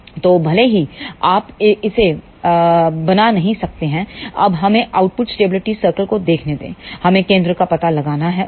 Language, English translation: Hindi, So, even if you cannot draw it is ok, now let us just look at the output stability circles, we have to locate the centre